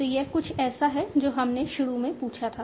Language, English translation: Hindi, So this is something that we had initially asked